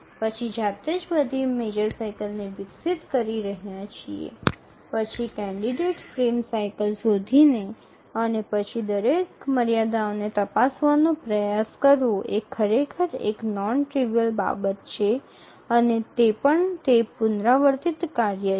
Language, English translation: Gujarati, Manually looking at all developing the major cycle, finding out candidate frame cycles and then trying to check every constraint is actually non trivial and that too it's an iterative task